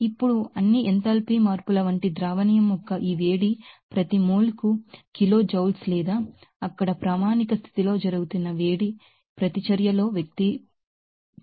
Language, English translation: Telugu, Now, this heat of solution like all enthalpy changes is expressed in kilojoules per mole or a reaction that is taking place at standard condition there